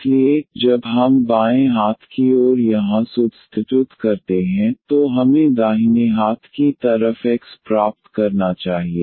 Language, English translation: Hindi, So, when we substitute here in the left hand side, this we should get the right hand side X